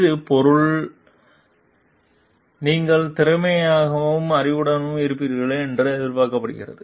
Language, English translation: Tamil, This are stuff and you are expected to be efficient and knowledgeable